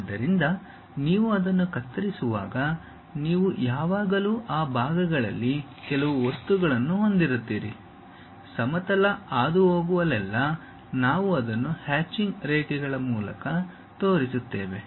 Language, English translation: Kannada, So, when you are slicing it, you always be having some material within those portions; wherever the plane is passing through that we will show it by hatched lines